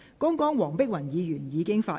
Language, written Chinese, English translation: Cantonese, 剛才黃碧雲議員已經發言。, Just now Dr Helena WONG has already spoken